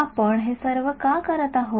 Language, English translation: Marathi, Why are we doing all of these